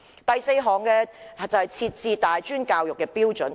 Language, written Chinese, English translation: Cantonese, 第四項修正是為大專教育制訂標準。, Item 4 of my amendment proposes to set standards for provision of tertiary education